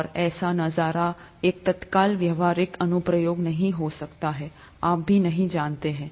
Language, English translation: Hindi, And such a view may not have an immediate practical application, you never know